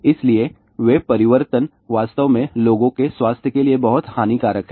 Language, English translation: Hindi, So, those changes are really speaking very damaging to the health of the people